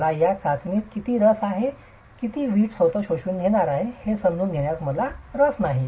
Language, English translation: Marathi, I'm not interested how much the, in this test I'm not interested in understanding how much the brick itself is going to absorb